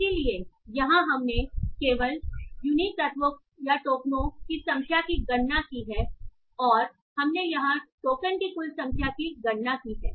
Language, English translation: Hindi, So here we have just computed the number of unique elements or the tokens and we have computed here the number of total number of tokens